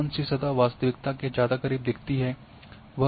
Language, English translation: Hindi, So which surface it looks more close to the real one that is also has to be seen